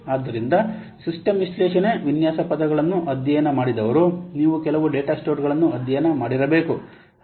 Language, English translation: Kannada, So, those who have studied system analysis design terms, you must have studies some data stores